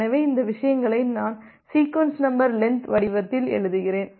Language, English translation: Tamil, So, this things I am writing in the form of ‘sequence number, length’